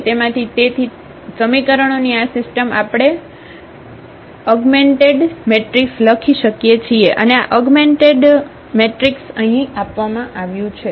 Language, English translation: Gujarati, So, from those, these system of equations we can write down this augmented matrix and this augmented matrix is given here